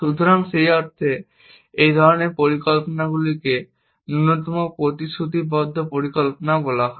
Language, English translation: Bengali, So, in that sense, this kind of planning is also known as least commitment planning